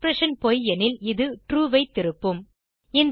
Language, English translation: Tamil, It will return true if the expression is false